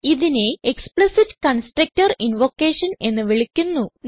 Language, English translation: Malayalam, This is called explicit constructor invocation